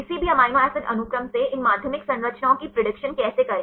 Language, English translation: Hindi, How to predict these secondary structures from any given amino acid sequence